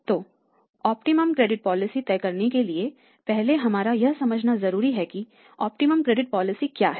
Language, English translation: Hindi, So, for deciding the optimum credit policy first of all what is the optimum credit policy